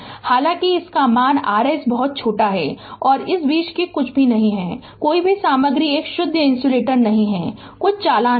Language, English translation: Hindi, All though there very value is very small and in between that that no no nothing no material is a pure insulator right some conduction will be there